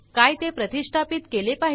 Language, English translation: Marathi, Should it install